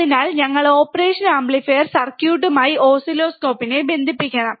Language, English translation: Malayalam, So, we have to connect the oscilloscope with the operational amplifier circuit